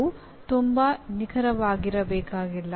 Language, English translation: Kannada, This is need not be very precise